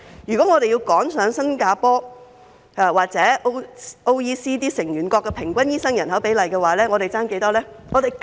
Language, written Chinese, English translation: Cantonese, 如果我們要趕上新加坡或 OECD 成員國的平均醫生對人口比例，我們尚欠多少醫生？, If we want to catch up with the average doctor - to - population ratio of Singapore or the OECD countries how many more doctors do we need to have?